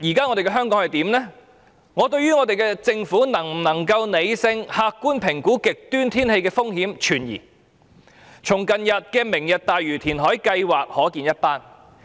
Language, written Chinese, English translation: Cantonese, 我對政府能否理性和客觀評估極端天氣風險存疑，從近日的"明日大嶼"填海計劃即可見一斑。, I doubt if the Government can be rational and objective in assessing extreme weather risks . The recent Lantau Tomorrow reclamation project is a case in point